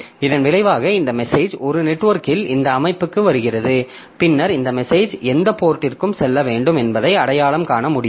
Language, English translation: Tamil, So as a result, this message is coming to this system over a network and then it can identify to which port this message should go